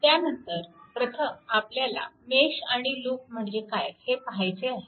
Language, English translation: Marathi, Then first you have to see that mesh and loop thing, right